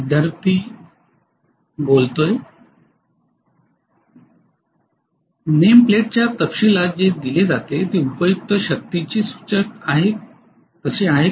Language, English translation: Marathi, what is given in the name plate details is indicative of useful power, is that so